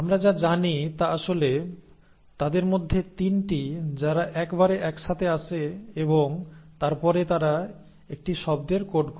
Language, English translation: Bengali, So what we know now is that actually there are 3 of them who come together at a time and then they code for a word